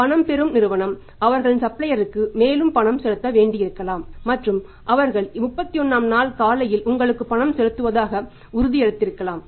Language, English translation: Tamil, If it is possible that the paying for the receiving firm had to further make the payment to their suppliers and had promised that on 31st day morning will make the payment to you